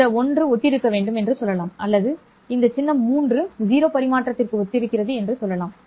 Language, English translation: Tamil, Let's say this one should correspond to or let's say this symbol 3 corresponds to 0 transmission